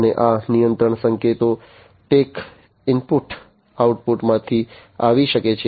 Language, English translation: Gujarati, And these control signals can come from take input output